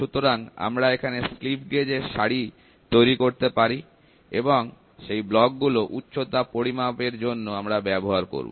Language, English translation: Bengali, So, we could make blocks on slip gauge, and these blocks for measuring height we used